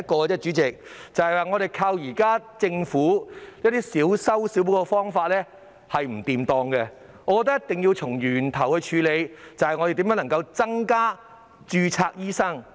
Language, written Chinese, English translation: Cantonese, 代理主席，我們依靠現時政府小修小補的方法是行不通的，我覺得一定要從源頭處理，探討如何增加註冊醫生。, Deputy President we cannot rely on the Governments present approach of doing just minor patch - up work . In my opinion we must deal with the problem at the root and explore means to increase the number of registered doctors